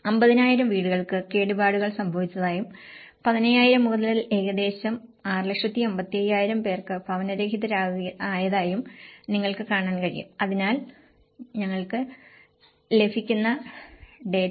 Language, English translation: Malayalam, And a huge damage you can see that 50,000 houses were damaged and 15,000 and almost 655,000 became homeless so, this is the kind of data which we get